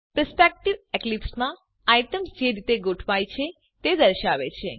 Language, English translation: Gujarati, A perspective refers to the way items are arranged in Eclipse